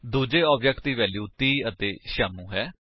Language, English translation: Punjabi, The second object has the values 30 and Shyamu